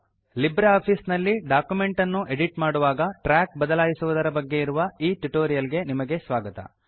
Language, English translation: Kannada, Welcome to the tutorial on LibreOffice Writer Track changes while Editing a document